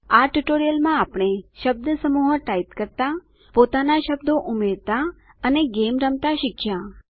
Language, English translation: Gujarati, In this tutorial we learnt to type phrases, add our own words, and play a game